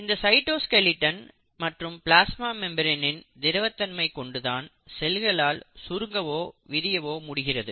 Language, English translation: Tamil, And it is this cytoskeleton along with the fluidic ability of the plasma membrane which allows the cell to contract and relax